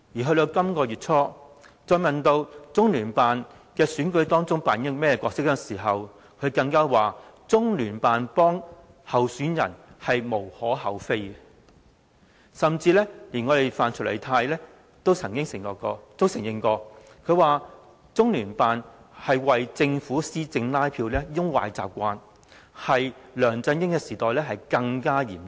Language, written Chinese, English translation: Cantonese, 到了本月初，她再被問到中聯辦在選舉中扮演甚麼角色的時候，她說中聯辦協助候選人是"無可厚非"，甚至連范徐麗泰都曾經承認，中聯辦有為政府施政拉票的壞習慣，在梁振英時代更嚴重。, Early this month when she was once again asked what role LOCPG played in the election she said that it was nothing wrong for LOCPG to assist candidates . Even Mrs Rita FAN admitted that LOCPG had the bad habit of canvassing support for the Governments policy implementation and the situation was particularly serious during LEUNG Chun - yings rule